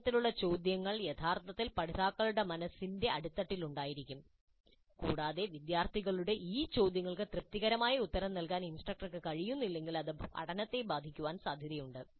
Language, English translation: Malayalam, These kind of questions would be really at the back of the mind of the learners and unless the instructor is able to satisfactorily answer these queries of the students, learning is likely to suffer